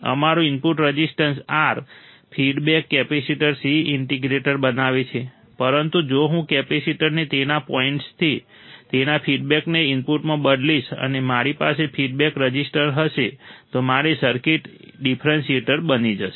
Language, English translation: Gujarati, Our input resistance R, feedback capacitor C forms the integrator, but if I change the capacitor from its point its feedback to the input, and I have feedback resistor then my circuit will become a differentiator